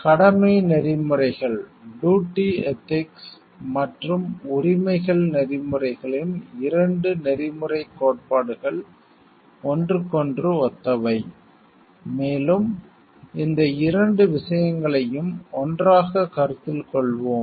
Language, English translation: Tamil, The 2 ethical theories of duty ethics and rights ethics are similar to each other, and we will be considering here both of these things together